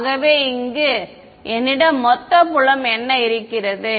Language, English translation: Tamil, So, what do I have as the total filed over here